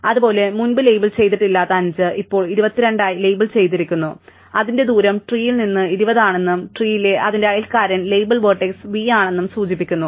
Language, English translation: Malayalam, Similarly, 5 which was earlier unlabelled, now becomes labelled as 22 indicating that its distance is 20 from the tree and its neighbour in the tree is the label vertex v